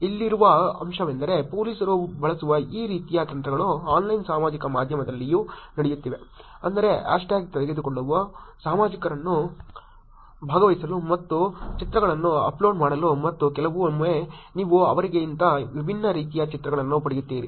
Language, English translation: Kannada, The point here is that, these kinds of strategies that police use is also happening on Online Social Media which is to take up the hash tag, get public to participate and uploading the pictures and of course sometimes you get different kinds of pictures than what they meant or expected